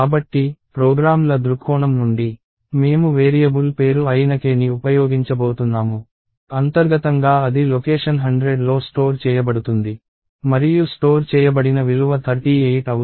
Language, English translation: Telugu, So, from the programs perspective, we are going to use k which is the name of the variable, internally it is stored in location 100 and the value that is stored is 38